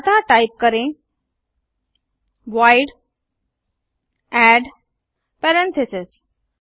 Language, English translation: Hindi, So type void add parentheses